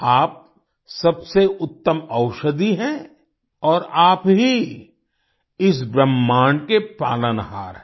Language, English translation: Hindi, You are the best medicine, and you are the sustainer of this universe